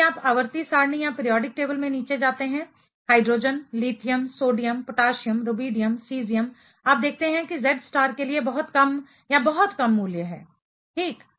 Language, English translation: Hindi, If you go down the periodic table hydrogen, lithium, sodium, potassium, rubidium, cesium; you see there is very little increase if any or very little value for the Z star; ok